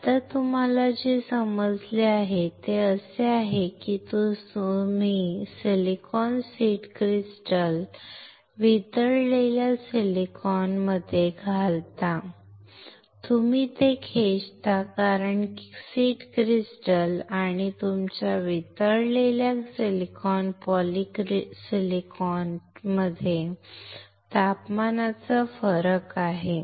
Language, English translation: Marathi, Right now, what you understand is that you insert this silicon seed crystal in the molten silicon you pull it up because there is a temperature difference between the seed crystal and your molten silicon polysilicon